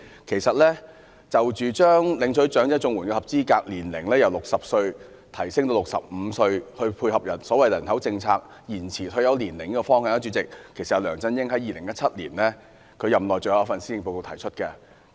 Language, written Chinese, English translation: Cantonese, 其實，將領取長者綜援的合資格年齡由60歲提高至65歲，以配合所謂"人口政策延遲退休年齡"的方向，是梁振英在2017年任內最後一份施政報告提出的。, In fact the proposal to raise the eligibility age of elderly Comprehensive Social Security Assistance CSSA from 60 to 65 to align with the so - called direction of raising retirement age under the population policy was put forth by LEUNG Chun - ying in 2017 in the final Policy Address within his tenure